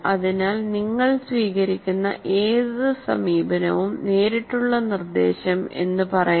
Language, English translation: Malayalam, So what happens, any approach that you take, let's say direct instruction